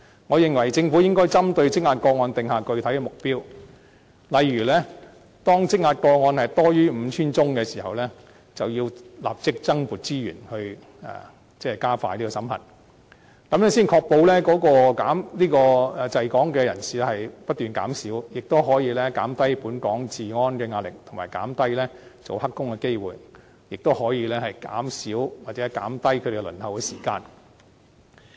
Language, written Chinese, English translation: Cantonese, 我認為政府應該針對積壓的個案訂下具體目標，例如當積壓個案多於 5,000 宗的時候，便要立即增撥資源加快審核程序，這樣才可以確保滯港人士不斷減少，亦可以減低對本港治安構成的壓力，以及減低聲請者做"黑工"的機會，亦可以減少他們的輪候時間。, In my opinion the Government should set specific goals for tackling the backlog of cases . For example whenever there is a backlog of more than 5 000 cases additional resources must be allocated immediately for expediting the screening process . This is the only way to ensure that the number of people stranded in Hong Kong is always on the decline and the pressure on the security of Hong Kong can be eased